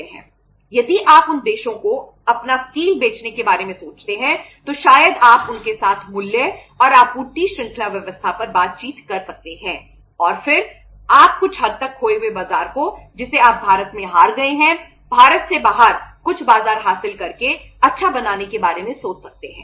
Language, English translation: Hindi, If you think about selling your steel to them to those countries maybe you can negotiate the price and the supply chain arrangement with them and then you can think of say to some extent recouping or making the lost market good by which you have lost in India by say say gaining some market out of India